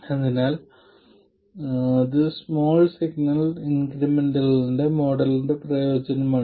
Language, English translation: Malayalam, So, this is the utility of the small signal incremental model